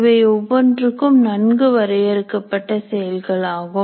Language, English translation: Tamil, Each one of them is a well defined activity